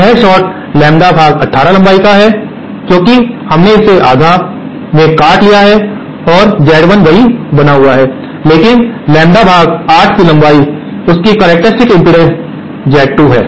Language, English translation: Hindi, This short is now lambda by 18 length since we have cut it in half and Z1 remains the same but this lambda by 8 length has a characteristic impedance Z2